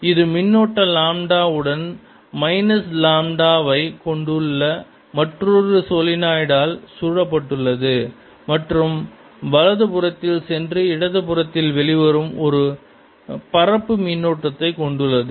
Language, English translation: Tamil, this is surrounded by another solenoid which is also carrying charge lambda, with the minus, minus lambda, and also carries a surface current, say going on the right side, coming out in the left side